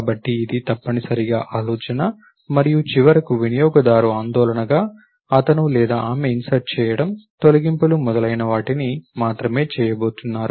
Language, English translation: Telugu, So, this is essentially the idea and as finally the user concern, he or she is only going to do insertions, deletions, so on and so forth